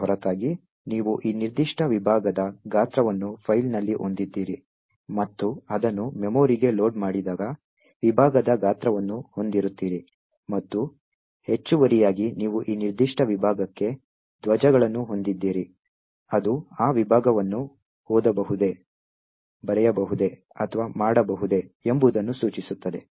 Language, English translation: Kannada, Beside this, you have the size of this particular segment in the file and also the size of the segment when it is loaded into memory and additionally you have flags for this particular segment, which specifies whether that segment can be read, written to or can be executed